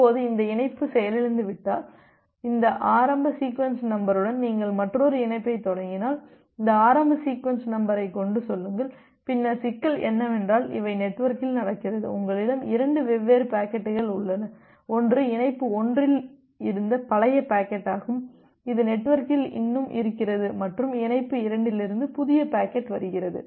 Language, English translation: Tamil, Now if this connection get crashed and if you are initiating another connection with this initial sequence number, say with this initial sequence number, then the problem is that you can see that here you have 2 different packets you may have 2 different packets, which are there in the network, one is the old packet from the connection 1 which was still there in the network and the new packet from connection 2